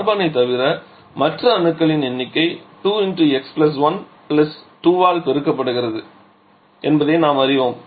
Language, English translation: Tamil, So, we know that has to be 2 twice of the number of carbon +2, so it will be 2 into x + 1 + 2